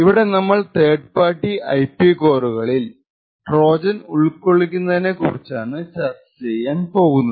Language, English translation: Malayalam, In this particular talk we will be looking at Trojans that could potentially inserted in third party IP cores